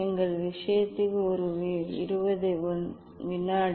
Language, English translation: Tamil, in our case is a 20 second